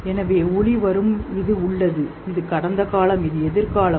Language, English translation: Tamil, So, light coming, this is present, this is past, this is future